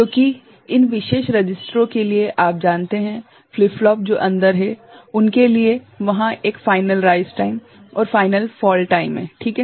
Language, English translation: Hindi, Because, there is a, for this particular registers or you know flip flops that is inside there is a finite rise time finite fall time ok